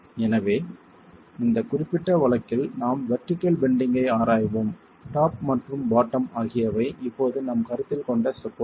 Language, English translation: Tamil, So in this particular case we are examining vertical bending and the top and the bottom are the supports that we are considering now